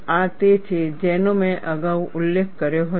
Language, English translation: Gujarati, This is what I had mentioned earlier